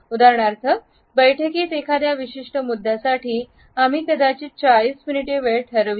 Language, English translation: Marathi, For example, in a meeting for a particular agenda item we might have allocated 40 minutes